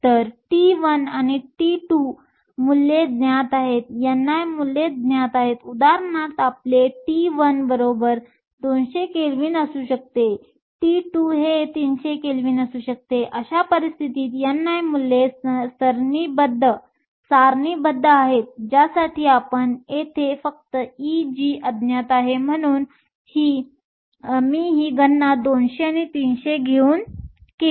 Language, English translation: Marathi, So, T 1 and T 2 values are known, n i values are known, for example, your T 1 could be 200 Kelvin, T 2 could be 300 Kelvin in which case the n i values are tabulated we only unknown here is E g